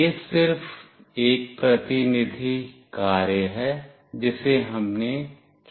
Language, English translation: Hindi, This is just a representative thing that we have done it